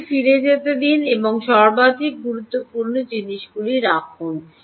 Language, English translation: Bengali, let it go back and put on what are the most important things